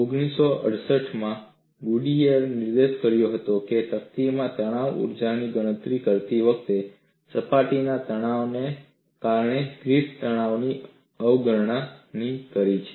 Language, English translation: Gujarati, Goodier in 1968 has pointed out that Griffith has neglected the stresses due to the surface tension, while calculating the strain energy in the plate